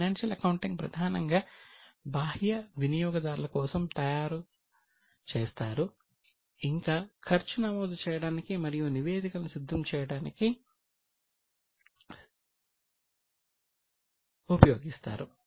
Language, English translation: Telugu, Financial accounting is mainly for external users and we are trying to record the cost and prepare statements